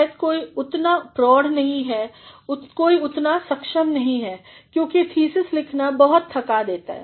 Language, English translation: Hindi, Maybe somebody is not that mature, somebody is not that skilled, because thesis writing is very exhaustive